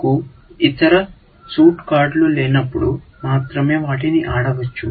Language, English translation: Telugu, But they can only be played, when you do not have the other suit cards